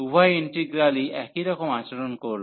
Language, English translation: Bengali, So, both the integrals will behave the same